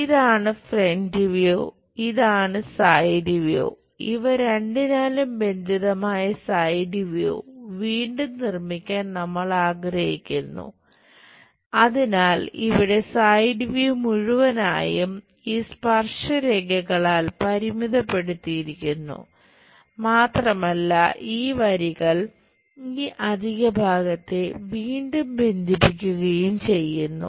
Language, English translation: Malayalam, So, here the entire side view is bounded by these tangent lines and these lines are again bounding this extra portion